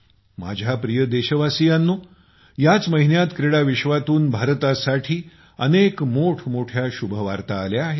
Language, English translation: Marathi, My dear countrymen, this month many a great news has come in for India from the sports world